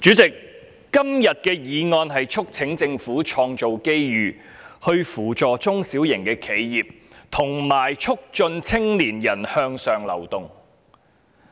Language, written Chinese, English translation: Cantonese, 主席，今天的議案題目是"創造機遇扶助中小型企業及促進青年人向上流動"。, President the title of todays motion is Creating opportunities to assist small and medium enterprises and promoting upward mobility of young people